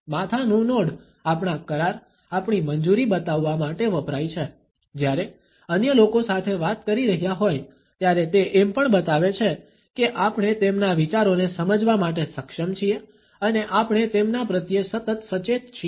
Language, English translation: Gujarati, A head nod is used to show our agreement, our approval, while be a talking to other people, it also shows that we are able to comprehend their ideas and that we are continually attentive to them